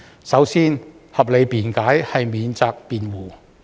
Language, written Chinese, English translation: Cantonese, 首先，合理辯解是免責辯護。, First a reasonable excuse is a defense